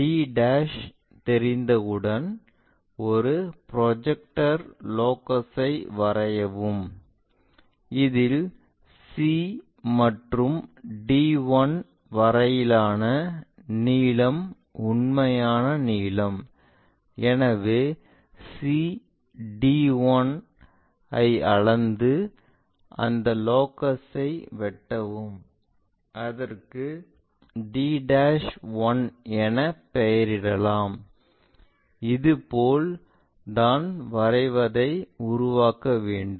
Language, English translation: Tamil, Once we know d', draw a projector locus; already c to d 1 is our true length, so measure that c d 1 and from c' make a cut on to that locus called d' 1, this is the way we construct our diagram